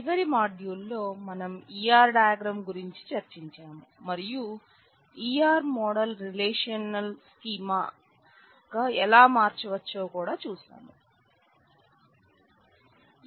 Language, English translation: Telugu, So, in the last module we have discussed about E R diagram and we have also seen how E R model can be converted to a relational schema